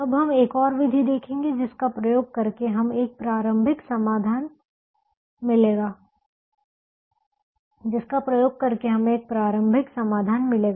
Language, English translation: Hindi, now we will look at another method where using which we will get a starting solution